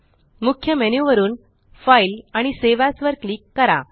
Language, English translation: Marathi, From the Main menu, click File and Save As